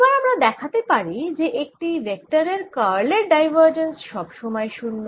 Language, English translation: Bengali, no one can show that divergence of curl of a vector is always zero